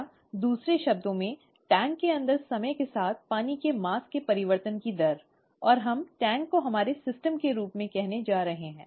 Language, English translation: Hindi, Or in other words, the rate of change of water mass with time inside the tank, and we are going to call the tank as our system